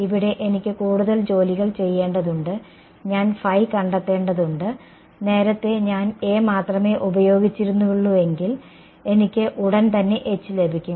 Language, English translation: Malayalam, Here I have to do more work right I have to also find phi, earlier if I used only A, I could get H straight away ok